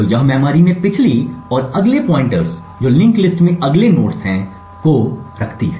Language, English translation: Hindi, So, these memory contains has previous and next pointers to the next nodes in the linked list